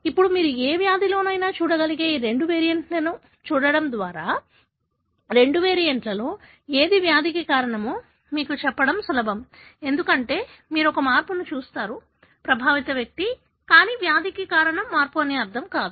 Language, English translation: Telugu, Now, by looking into these two variants which are likely that you could see in any disease, would it be easy for you to say whether which one of the two variant is causative for the disease, because you see a change that is there in an affected individual, but that does not mean that change is the one that is causing the disease